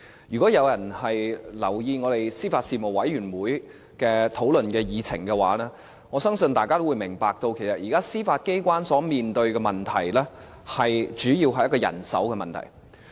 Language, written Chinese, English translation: Cantonese, 如果有人留意我們司法及法律事務委員會的討論議程的話，我相信大家都會明白到，其實現在司法機關面對的問題，主要是人手的問題。, I believe that anyone who pays attention to the agenda of our Panel on Administration of Justice and Legal Services recognizes that the problems plaguing the Judiciary at this time are mainly a problem of manpower